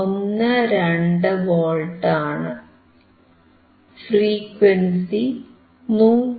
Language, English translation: Malayalam, 12V, and your frequency is frequency is 159